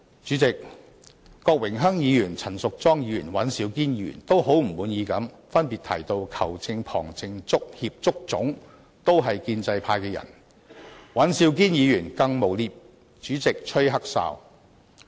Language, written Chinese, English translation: Cantonese, 主席，郭榮鏗議員、陳淑莊議員和尹兆堅議員都很不滿意地分別提到，"球證、旁證、足協、足總"都是建制派的人，而尹兆堅議員更誣衊主席吹"黑哨"。, President Mr Dennis KWOK Ms Tanya CHAN and Mr Andrew WAN separately mentioned with great discontent that the referee assistant referees and members of the football confederation and football association were all from the pro - establishment camp . Mr Andrew WAN even falsely accused the President of being a corrupt referee